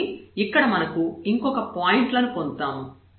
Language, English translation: Telugu, So, we got another points here